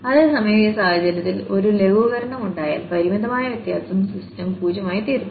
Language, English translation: Malayalam, Whereas, for instance in this case where the there was a simplification the finite difference systems become 0